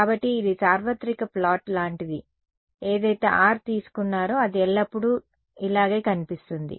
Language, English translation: Telugu, So, it is like a universal plot whatever r you take as long as I mean the far field it will always look like this ok